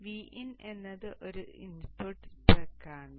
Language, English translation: Malayalam, V in is also an input spec